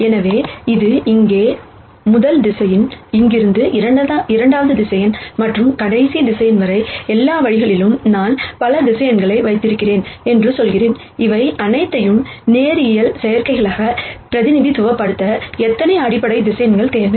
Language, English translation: Tamil, So, this is a first vector here, from here second vector and so on all the way up to the last vector and I say I have so many vectors, how many fundamental vectors do I need to represent all of these as linear combinations